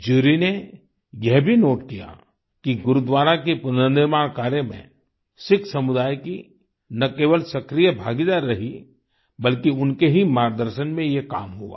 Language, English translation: Hindi, The jury also noted that in the restoration of the Gurudwara not only did the Sikh community participate actively; it was done under their guidance too